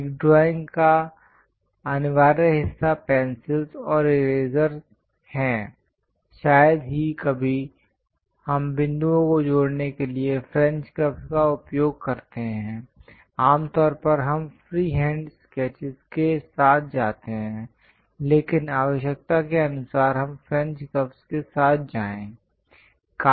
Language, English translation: Hindi, The essential part of drawing is pencils and eraser; rarely, we use French curves to connect points; usually, we go with freehand sketches, but required we go with French curves as well